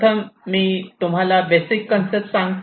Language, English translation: Marathi, ok, let me try to tell you the basic concept here first